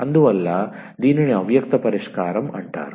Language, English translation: Telugu, So, this is called the explicit solution